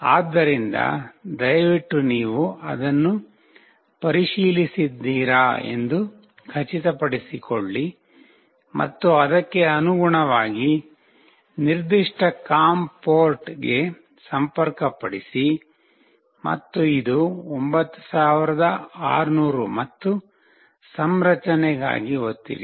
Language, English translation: Kannada, So, please make sure you check that and accordingly connect to that particular com port, and this is 9600 and press for the configuration